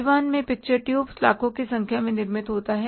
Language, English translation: Hindi, In Taiwan, picture tubes are manufactured in millions of numbers